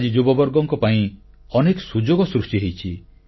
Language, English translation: Odia, Today, a lot of new opportunities have been created for the youth